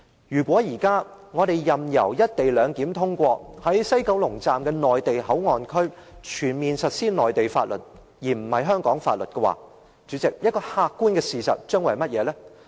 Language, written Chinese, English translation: Cantonese, 如果我們現在任由有關"一地兩檢"的《條例草案》通過，在西九龍站的內地口岸區全面實施內地法律而非香港法律，代理主席，客觀的事實將會是甚麼？, If we now casually allow the Bill on the co - location arrangement to pass and implement on a comprehensive scale Mainland laws rather than Hong Kong laws in the Mainland Port Area MPA in the West Kowloon Station WKS Deputy Chairman what will be the objective fact?